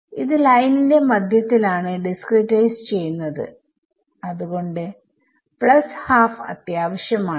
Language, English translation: Malayalam, It is being discretized in the middle right; middle of the line so that is why the plus half is necessary